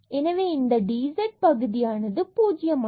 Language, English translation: Tamil, And now this is the dz term which we call differential